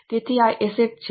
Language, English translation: Gujarati, So, these are assets